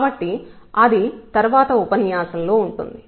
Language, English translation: Telugu, So, that will be in the next lecture